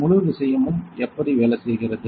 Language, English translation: Tamil, So, how this whole thing works